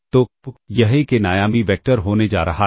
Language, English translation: Hindi, So, this is going to be an n dimensional vector, which we will denote by this